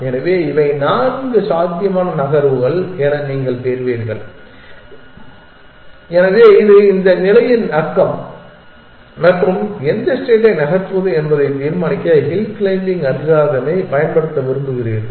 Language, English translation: Tamil, So, you will get these are the four possible moves, so this is the neighborhood of this state and you want to use hill climbing algorithm to decide which state to move